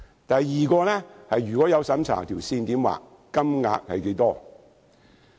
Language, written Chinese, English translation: Cantonese, 第二，如果進行審查，應如何訂定界線？, Second if a means test is necessary what should be the assets limit?